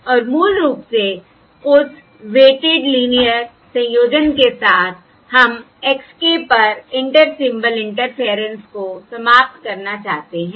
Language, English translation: Hindi, all right, And basically, with that weighted linear combination, we would like to eliminate the Inter Symbol Interference on x k